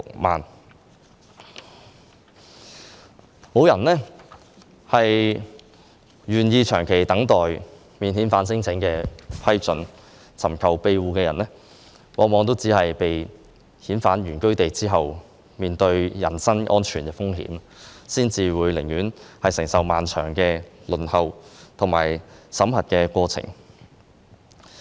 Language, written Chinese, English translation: Cantonese, 沒有人願意長期等待免遣返聲請的批准，尋求庇護的人往往被遣返原居地後，會面對人生安全風險，所以他們寧願承受漫長的輪候和審核過程。, No one wants to wait endlessly for the result of his non - refoulement claim . When a person who seeks asylum is repatriated to his place of origin his personal safety will be at risk . Thus they would rather bear the long waiting and screening process